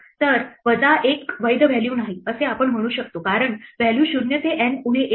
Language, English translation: Marathi, So, we could say minus one this is not a valid value because the values are 0 to N minus 1